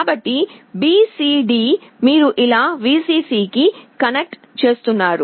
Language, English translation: Telugu, So, BCD you are connecting to Vcc like this